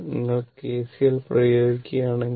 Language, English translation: Malayalam, So, here you have to apply KCL